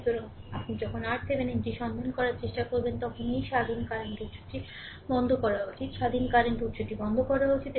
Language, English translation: Bengali, So, when you try to find out R Thevenin, this independent current source should be turned off right; independent current source should be turned off